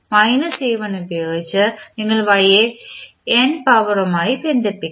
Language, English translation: Malayalam, You will connect the y with s to the power ny with minus a1